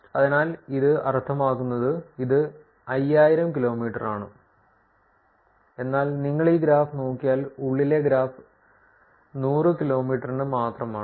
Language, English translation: Malayalam, So, this is meaning, this is 5000 kilometers, but as if you look at this graph the inside graph is only for 100 kilometers